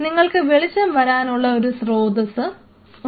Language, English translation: Malayalam, Now, and you have a source of light